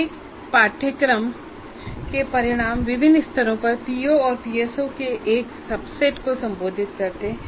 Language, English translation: Hindi, And each course outcome addresses a subset of POs and PSOs to varying levels